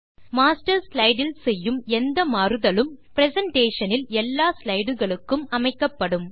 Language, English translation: Tamil, Any change made to the Master slide is applied to all the slides in the presentation